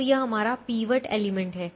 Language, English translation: Hindi, so this is our pivot element